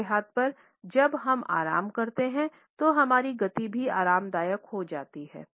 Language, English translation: Hindi, On the other hand, when we are relaxed our speed also becomes comfortable